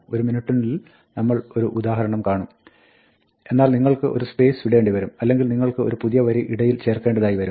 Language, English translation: Malayalam, We will see an example in a minute, but you might want to leave a space or you might want to insert a new line